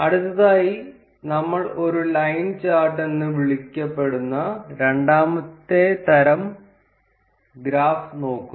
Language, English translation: Malayalam, Next we look at a second type of graph that is called a line chart